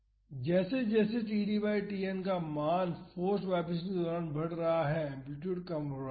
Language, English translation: Hindi, So, as the td by Tn values are increasing during the forced vibration the amplitude is reducing